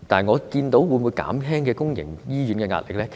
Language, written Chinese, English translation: Cantonese, 會否減輕公營醫療的壓力呢？, Can it reduce the pressure on public health care services?